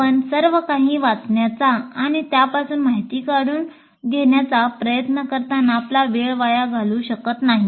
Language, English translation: Marathi, So you cannot waste your time in trying to read everything and distill information from that